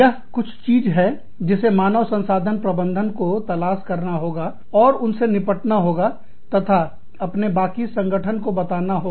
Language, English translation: Hindi, That is something, that the human resource managers, have to find out, and deal with, and communicate, to the rest of their organization